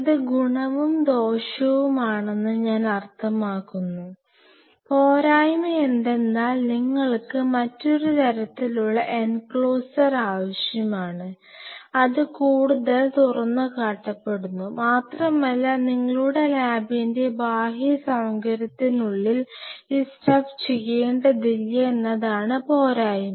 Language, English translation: Malayalam, Well I mean it has it is advantage and disadvantage because the disadvantage is that then you need another additional kind of enclosure, which is much more exposed and the disadvantage is that you do not have to do this stuff inside the outer facility of your lab